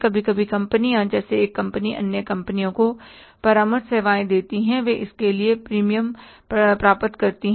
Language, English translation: Hindi, Sometime companies, one company gives the consultancy services to other companies, they get the premium for that, so that will be the indirect income